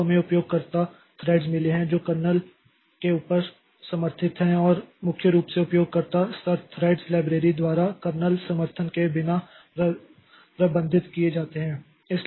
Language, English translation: Hindi, So, we have got user threads that are supported above the kernel and are managed without kernel support primarily by user level threads libraries